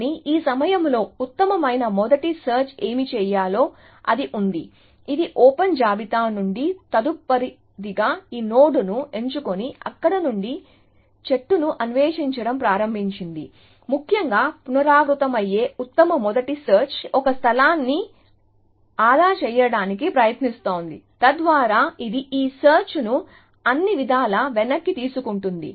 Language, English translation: Telugu, But, at this point well, it has to what best first search would have done is simply, it would have pick this node as the next one from the open list and started exploring the tree from there essentially, what recursive best first search, which is trying to save one space, thus is that it rolls back this search all the way